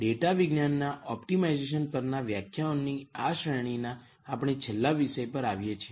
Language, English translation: Gujarati, We come to the last topic in this series of lectures on optimization for data science